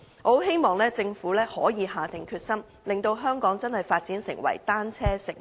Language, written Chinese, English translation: Cantonese, 我希望政府可以下定決心，令香港真的可以發展成為單車友善城市。, I hope the Government can drum up the resolve and develop Hong Kong into a real bicycle - friendly city